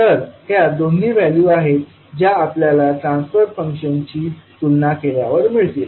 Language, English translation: Marathi, So these are the two values which we will get when we compare the transfer function